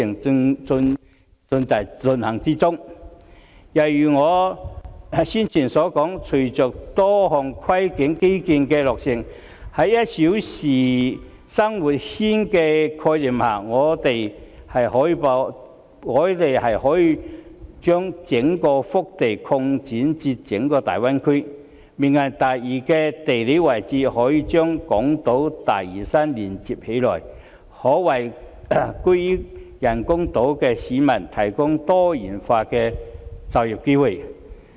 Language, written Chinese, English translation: Cantonese, 正如我先前所說，隨着多項跨境基建的落成，在"一小時生活圈"的概念下，我們可以把整個腹地擴展至整個大灣區，"明日大嶼"的地理位置可以把港島和大嶼山連接起來，可為居於人工島的市民提供多元化的就業機會。, As I said earlier following the completion of a number of cross - border infrastructure and under the concept of one - hour living circle we can extend the entire hinterland to cover the whole Greater Bay Area and as Lantau Tomorrow will geographically link up the Hong Kong Island with Lantau residents living on the artificial islands can be provided with diversified employment opportunities